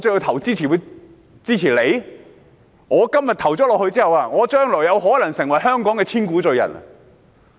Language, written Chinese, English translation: Cantonese, 如我今天表決支持，將來有可能成為香港的千古罪人。, If I vote in favour of their amendments today I will possibly be condemned as a sinner of Hong Kong through the ages